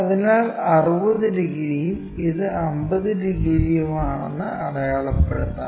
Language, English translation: Malayalam, So, let us mark that 60 degrees and this is 50 degrees